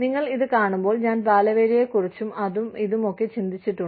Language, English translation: Malayalam, When you look at this, using, my god, I have been thinking about child labor, and this, and that